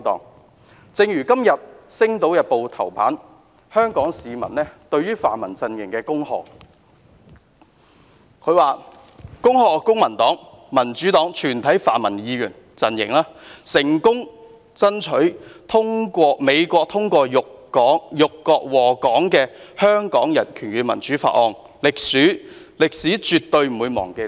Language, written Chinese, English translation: Cantonese, 因此，正如今天《星島日報》頭版刊登一則由名為"香港市民"向泛民陣營"恭賀"的廣告所帶出的一點：恭賀公民黨、民主黨及全體泛民陣營成功爭取美國通過辱國禍港的《香港人權與民主法案》，"歷史絕對不會忘記你們！, And so as what was pointed out in an advertisement published on the front page of Sing Tao Daily today entitled Congratulations to the Pan - democratic Camp from Hong Kong People Congratulations to the Civic Party the Democratic Party and the Pan - democratic Camp on their success in getting the United States to pass the Hong Kong Human Rights and Democracy Act which is meant to humiliate our country and subject Hong Kong to disasters and you will never be forgotten by history!